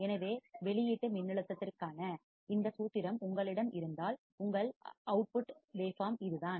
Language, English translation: Tamil, So, if you have this formula for output voltage, your output waveform would be this